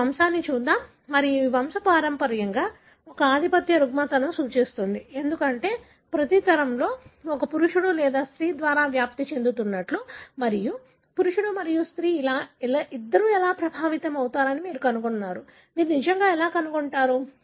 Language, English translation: Telugu, Let us see this pedigree and this pedigree obviously represent a dominant disorder, because in every generation you find individuals are affected, transmitted by either a male or female and, and both male and female are affected, right